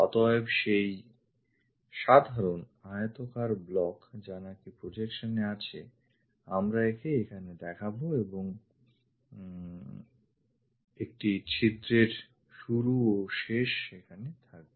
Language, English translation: Bengali, So, that simple rectangular block on the projection we are representing it here and hole begins there ends there